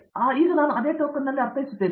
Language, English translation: Kannada, So, now I mean in the same token